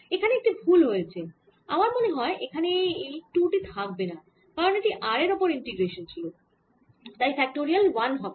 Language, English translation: Bengali, i think i should not have this two here because this was a integration of r, so it should be one factorial